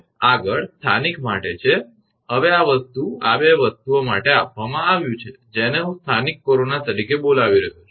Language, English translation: Gujarati, Next is for local now this thing for 2 things are given one I am calling as a local corona